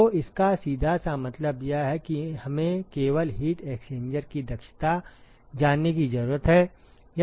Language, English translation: Hindi, So, what it simply means is that we need to know only the efficiency of the heat exchanger